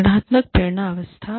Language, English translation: Hindi, Organizational motivation states